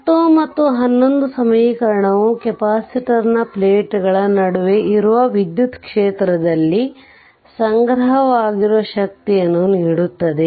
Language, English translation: Kannada, So, equation 10 and 11 give the energy stored in the electric field that exists between the plates of the capacitor